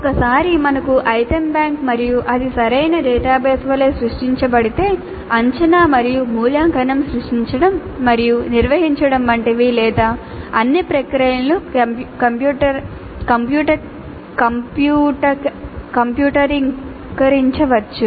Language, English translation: Telugu, And once we have an item bank and if it is created as a proper database, some are all of the processes associated with creating and administering assessment and evaluation can be computerized